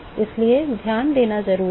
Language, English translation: Hindi, So, it is important to pay attention